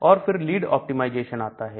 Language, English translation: Hindi, And then comes the lead optimization